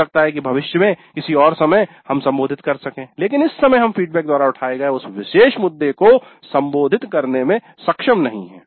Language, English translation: Hindi, Maybe in future some other time we can address but at this juncture we are not able to address that particular issue raised by the feedback